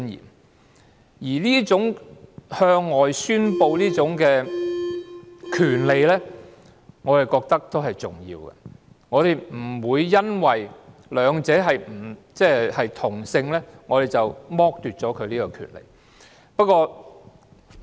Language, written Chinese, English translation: Cantonese, 我覺得這種向外宣示的權利也是重要的，我們不會因為兩者是同性，便剝奪了他們這種權利。, I think this right to explicit declaration is also important . We will not deprive a couple of this right just because they are of the same sex